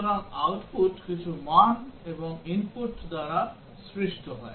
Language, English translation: Bengali, So the output is caused by some values and the input